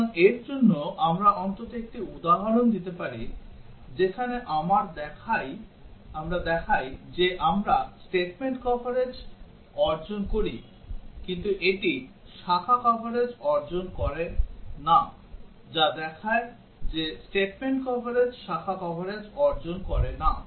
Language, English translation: Bengali, So, for that, we can give one example at least one example, where we show that we achieve statement coverage, but that does not achieve branch coverage that would show that statement coverage does not achieve branch coverage